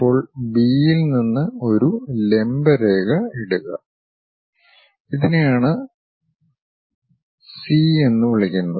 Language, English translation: Malayalam, Now from B drop a vertical line, that is this one let us call C